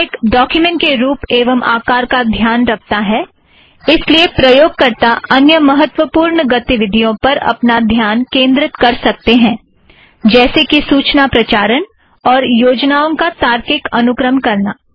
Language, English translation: Hindi, With latex taking care of formatting, the writer can concentrate on more important activities, such as, content generation and logical sequencing of ideas